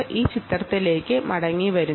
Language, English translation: Malayalam, this picture, this picture here